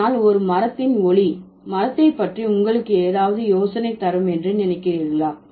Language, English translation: Tamil, So, the sound of a tree do you think does it give you any idea about the tree